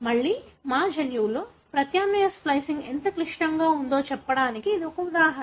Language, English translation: Telugu, Again, this is an example to give how complex the alternative splicing is in our genome